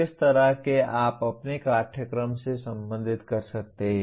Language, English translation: Hindi, In what way you can relate to your course